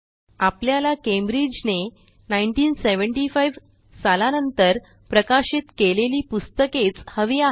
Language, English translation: Marathi, We will retrieve only those books published by Cambridge